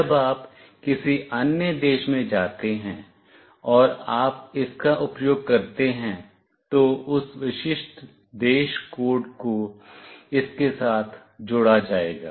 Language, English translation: Hindi, When you move to some other country and you use it, then that unique country code will be attached to it